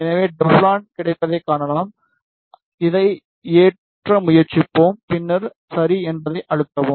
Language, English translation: Tamil, So, we can see Teflon is available we will try to load this one and then press ok